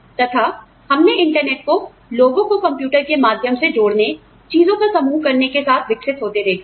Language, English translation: Hindi, And, we have seen the internet, evolve from a method of connecting people, over the computer to, doing a whole bunch of things